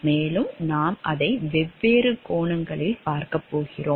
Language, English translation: Tamil, And we are going to visit it from different perspectives